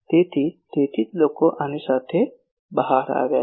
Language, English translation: Gujarati, So, that is why people have come out with this that